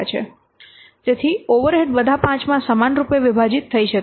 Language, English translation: Gujarati, So, the overhead may be equally divided among all the five